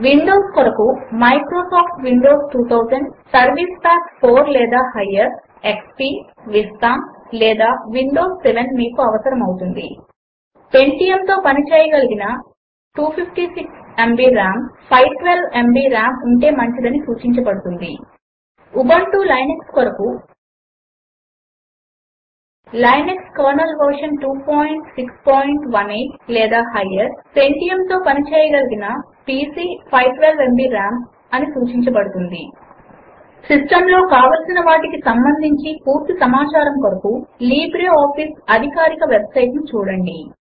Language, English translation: Telugu, For Windows, you will need Microsoft Windows 2000 , XP, Vista, or Windows 7 Pentium compatible PC 256 Mb RAM For Ubuntu Linux,the system requirements are: Linux kernel version 2.6.18 or higher Pentium compatible PC 512Mb RAM recommended For complete information on System requirements,visit the libreoffice website